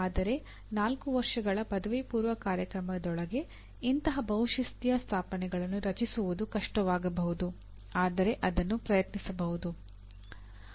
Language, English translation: Kannada, But to create such multidisciplinary settings in a within a 4 year undergraduate program can be difficult but it can be attempted